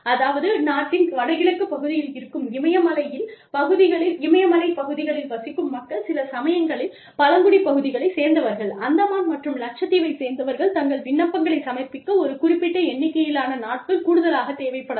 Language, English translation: Tamil, So, there is a clause, that people from the north eastern region of the country, people from Leh, you know, upper reaches of the Himalayas, sometimes people from tribal areas, people from the Andamans and Lakshadweep, can take a certain number of days, extra, to submit their applications